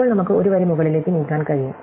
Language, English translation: Malayalam, Now, we can move up one row